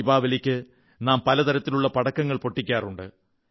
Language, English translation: Malayalam, In Diwali we burst fire crackers of all kinds